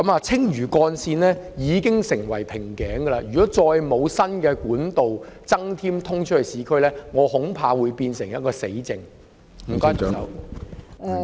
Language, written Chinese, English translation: Cantonese, 青嶼幹線現已成為一個瓶頸，如不再增設通往市區的新幹道，恐怕這會變成"死症"。, The Lantau Link has become a bottleneck now . If no additional new trunk road linking the urban areas is put in place I am afraid this problem may become intractable